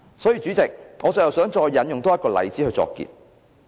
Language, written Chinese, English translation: Cantonese, 代理主席，我最後想再引用一個例子作結。, Deputy President I would like to cite another example to conclude my speech